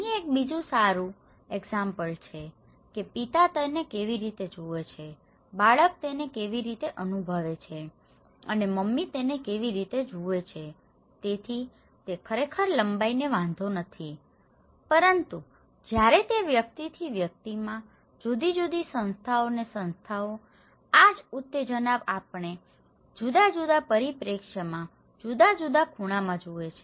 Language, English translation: Gujarati, Here is another good example that how dad sees it, how the kid experience it and how mom sees it, so itís not actually maybe that does not matter the length but when it varies from person to person, individual to individual, group to group, institution to institutions, this same stimulus we see in a different perspective, in a different angle